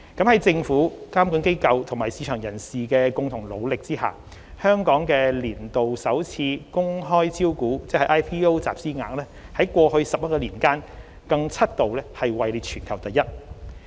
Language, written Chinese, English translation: Cantonese, 在政府、監管機構和市場人士的共同努力下，香港的年度首次公開招股集資額在過去11年間更七度位列全球第一。, With the concerted efforts of the Government regulatory authorities and market participants Hong Kong has ranked first for seven years globally in terms of annual funds raised through initial public offerings IPO during the past 11 years